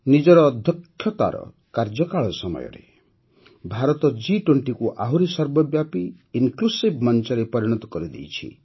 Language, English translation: Odia, During her presidency, India has made G20 a more inclusive forum